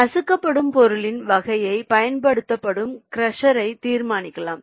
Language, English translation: Tamil, the type of material being crushed may also determine the crusher used